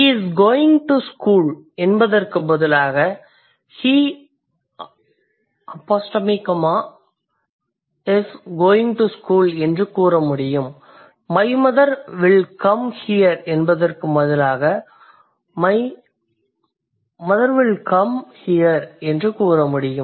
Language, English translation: Tamil, Instead of saying he is going to school, we might say he is going to school, instead of saying my brother will come here, I can say my brother will come here